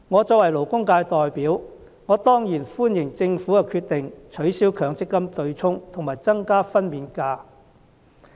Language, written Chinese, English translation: Cantonese, 作為勞工界代表，我當然歡迎政府的決定，取消強積金對沖和增加法定產假日數。, As a representative for the labour sector I of course welcome the Governments decision in abolishing the offsetting arrangement under the MPF System and extending the statutory maternity leave